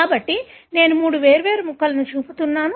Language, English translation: Telugu, So, I am showing three different pieces